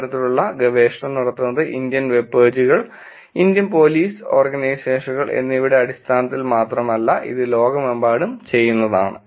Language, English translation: Malayalam, And these kind of research is not only done in terms of just Indian webpages, Indian Police Organizations, this is done all across the world